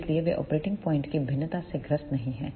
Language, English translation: Hindi, So, they do not suffer with the variation of the operating point